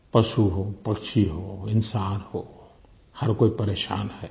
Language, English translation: Hindi, Be it animals, birds or humans…everyone is suffering